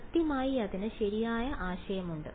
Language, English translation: Malayalam, Exactly he has a right idea right